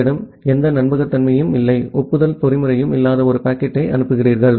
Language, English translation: Tamil, You simply send a packet you do not have any reliability and no acknowledgement mechanism